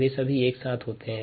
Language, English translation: Hindi, they all simultaneously occur